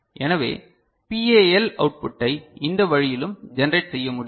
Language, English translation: Tamil, So, this is the way also PAL output can be generated